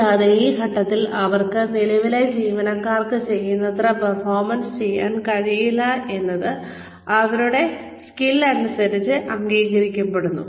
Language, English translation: Malayalam, And, at this point, their skills it is accepted that, they may not be able to perform, as well as, the current employees are performing